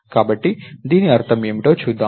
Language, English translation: Telugu, So, lets see what that means